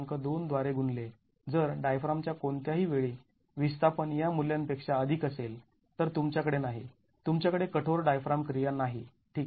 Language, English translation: Marathi, 2 if displacement at any point on the diaphragm is more than this value then you have a, you don't have rigid diaphragm action